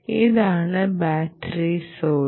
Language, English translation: Malayalam, this is the battery source